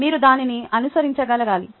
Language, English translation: Telugu, you must be able to follow it